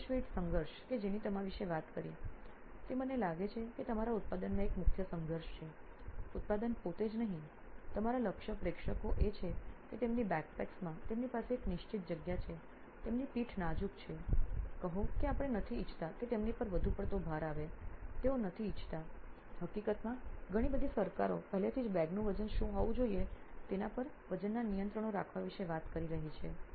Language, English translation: Gujarati, So is the space weight conflict that you talked about I think that is the key conflict in your product, not product itself, your target audience is that they have a certain space in their backpacks, they have tender backs let us say we do not want to overburden them, they do not want the, in fact lots of governments are already talking about having weight restrictions on what the weights of the bag should be, okay